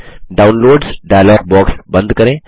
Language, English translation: Hindi, Close the Downloads dialog box